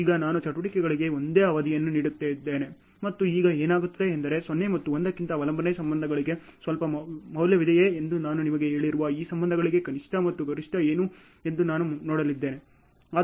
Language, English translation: Kannada, Now I am just giving the same duration for the activities and now what happens is I am just going to see what is the minimum and maximum in these cases which I have told you if there is some value in the dependency relationships rather than 0 and 1 which are the extremes